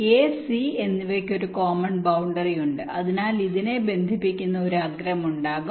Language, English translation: Malayalam, a and c is having a common boundary, so there will an edge connecting this